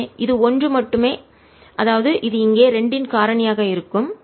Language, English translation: Tamil, so this is only one and therefore this would be a factor of two here